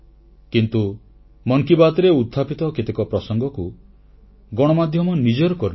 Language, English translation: Odia, But many issues raised in Mann Ki Baat have been adopted by the media